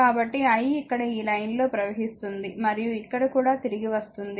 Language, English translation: Telugu, So, the i moving in the line here also and here also returning, right